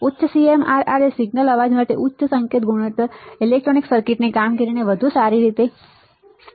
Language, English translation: Gujarati, Higher CMRR better the better the performance signal, higher signal to noise ratio better the performance of electronic circuit all right